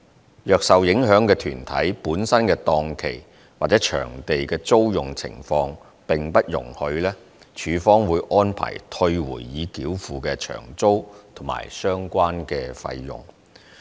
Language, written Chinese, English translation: Cantonese, 如果受影響的團體本身的檔期或場地的租用情況並不容許，署方會安排退回已繳付的場租及相關費用。, If rescheduling is impossible due to the schedule of the affected arts groups or unavailability of venues LCSD will arrange for refund of hire charges and related fees paid